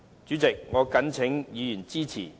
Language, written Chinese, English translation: Cantonese, 主席，我謹請議員支持議案。, President I urge Members to support this motion